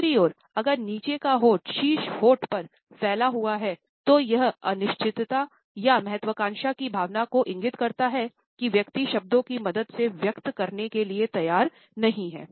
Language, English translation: Hindi, On the other hand, if the bottom lip has protruded over the top lip it indicates a feeling of uncertainty or ambivalence that one is unwilling to express with the help of words